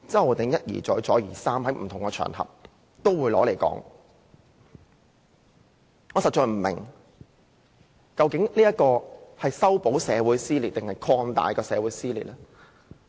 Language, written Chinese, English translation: Cantonese, 可是，他卻一而再、再而三地在不同場合提出來，我實在不明白，他是要修補還是擴大社會撕裂。, However he has brought up the issues time and again on various occasions . I really do not understand if he is trying to narrow or widen the disputes in society